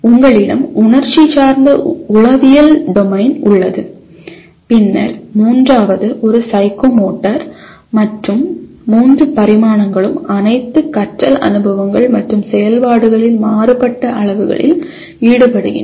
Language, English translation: Tamil, You have affective domain which concerns with the emotion and then third one is psychomotor and all three dimensions are involved to varying degrees in all intended learning experiences and activities